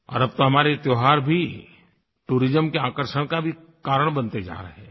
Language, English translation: Hindi, Our festivals are now becoming great attractions for tourism